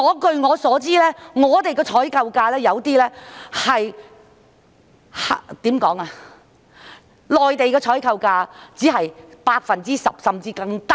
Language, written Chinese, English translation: Cantonese, 據我所知，內地的採購價只是我們的採購價的 10%， 甚至更低。, According to my understanding the procurement price of the Mainland is merely 10 % of our procurement price or even lower